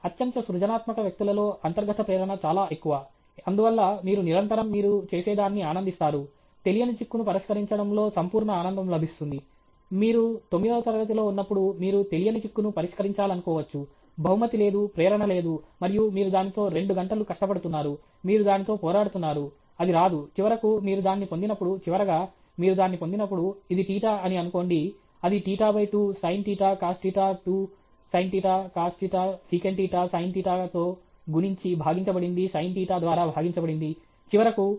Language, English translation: Telugu, In highly creative people the intrinsic motivation is very high; therefore, you constantly… you enjoy what you do; the sheer joy of solving an unknown riddle; when you are in ninth standard you want to solve a unknown riddle, there is no prize, there is no motivation, and you are struggling with that for two hours; you are struggling with it, it doesn’t come; then, finally, when you get it; finally, when you get it okay, then you, say, put this is theta, that is theta by 2, sin theta cos theta two sin theta, cos theta secant theta divided by multiply by sin theta divide by sin theta…; finally, L